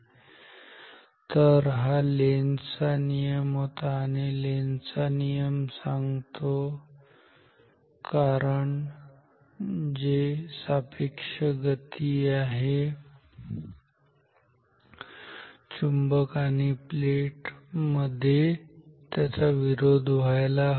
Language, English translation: Marathi, So, this is Lenz’s law, Lenz’s law says the cause which is the relative motion between the magnet and the plate should be opposed